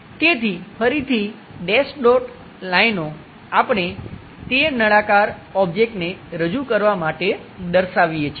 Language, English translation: Gujarati, So, again dash dot lines, we show to represents that it is a cylindrical object